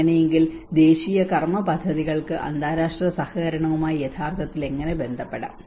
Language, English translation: Malayalam, So how the national action plans can actually relate with the international cooperation as well